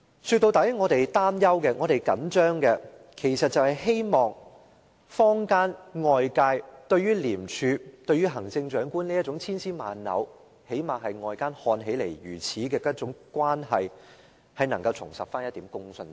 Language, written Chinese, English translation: Cantonese, 說到底，其實我們擔憂和着緊的是，希望坊間、外界對廉署與行政長官這種千絲萬縷的關係——最低限度外界看起來是這樣——能夠重拾一點公信力。, After all we are so worried and agitated because we want to rebuild public faith in the credibility of the ICAC Commissioner and the Chief Executive who are now caught in an entangled relationship; this is at least the impression that the public have